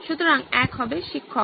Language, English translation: Bengali, So, one would be teacher